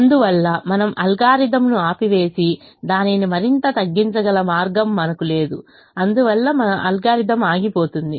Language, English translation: Telugu, therefore we stop the algorithm and say that we don't have a way by which we can reduce it further and therefore the algorithm stops